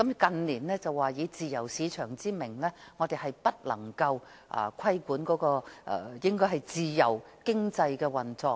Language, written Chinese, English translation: Cantonese, 近年政府更以自由市場為由，認為不得規管自由經濟的運作。, In recent years given the free market principle the Government has even held the view that the operation of a free economy must not be regulated